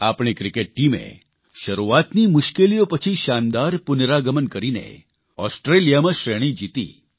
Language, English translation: Gujarati, Our cricket team, after initial setbacks made a grand comeback, winning the series in Australia